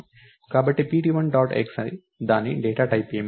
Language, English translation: Telugu, So, pt1 dot x what is the data type for it